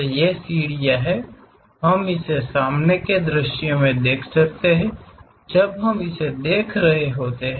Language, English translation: Hindi, So, these stairs, we can see it in the front view when we are looking at it